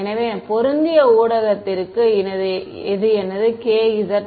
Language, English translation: Tamil, So, this is my k z for a matched medium